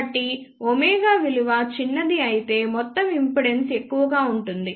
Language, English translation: Telugu, So, if omega is small overall impedance will be large